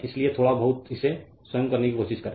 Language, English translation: Hindi, So, little bitlittle bit you try to do it yourself right